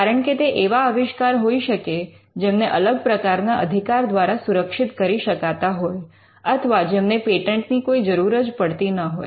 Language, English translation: Gujarati, Because they could be inventions which could be protected by other means of rights, or they could be inventions which need not be patented at all